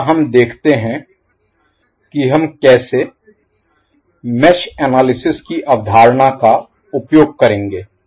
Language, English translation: Hindi, Next we see how we will utilize the concept of mesh analysis